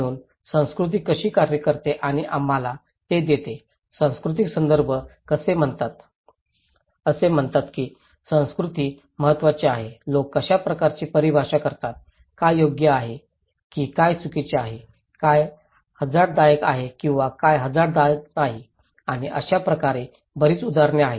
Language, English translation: Marathi, So thatís how culture works and gives us so, cultural context of risk is saying that culture matters, how people define, what is right or wrong, what is risky or not risky and in so, there are many examples